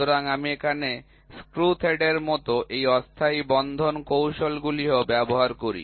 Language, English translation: Bengali, So, there also I use these temporary fastening techniques like screw threads